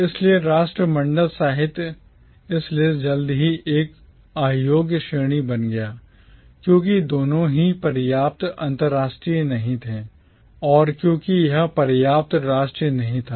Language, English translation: Hindi, So Commonwealth literature, therefore, soon became an unworkable category, both because it was not international enough and because it was not national enough